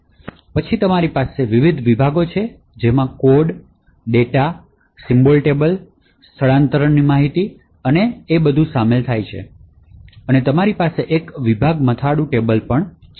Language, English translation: Gujarati, Then you have various sections which contain the code, the data, the symbol table, relocation information and so on and you also have a section header table